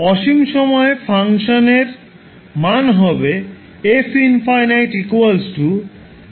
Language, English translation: Bengali, So at infinity the value will be zero